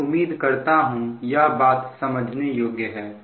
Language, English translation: Hindi, so i hope this part is understandable, right